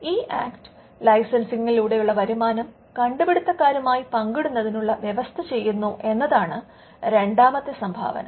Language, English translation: Malayalam, In the second contribution was the Act brought in a provision to share the license income with the inventors